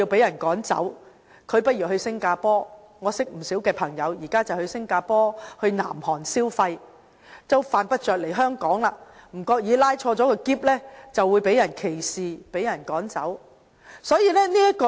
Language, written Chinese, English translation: Cantonese, 我認識的不少朋友，現在會到新加坡和南韓消費，犯不着來香港，因為恐怕拉着行李箱會被人歧視、趕走。, Many friends of mine will visit Singapore and South Korea for shopping without having to come to Hong Kong now . They are afraid of being discriminated or driven away merely for carrying luggage